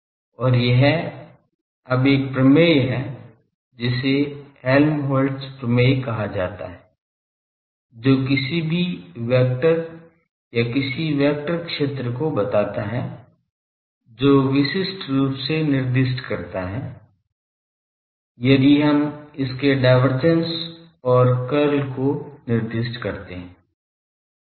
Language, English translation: Hindi, And this one now there is a theorem called Helmholtz theorem which state there any vector or any vector field that gets uniquely specify, if we specify its divergence and curl